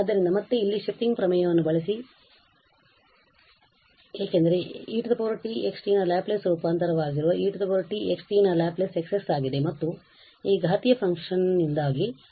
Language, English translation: Kannada, So, again the shifting theorem here because the Laplace of e power t x t that will be the Laplace transform of x t is X s and there will be a shift because of this exponential function